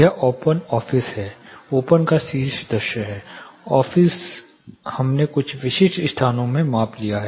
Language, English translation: Hindi, This is open office a plan you know top view of open plan office we took measurement in few specific locations